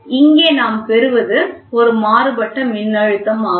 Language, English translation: Tamil, So, something like so here what we get is a differential voltage, ok